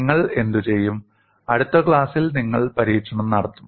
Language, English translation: Malayalam, What you will do is, you will do the experiment